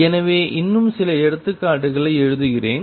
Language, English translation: Tamil, So, let me just write some more examples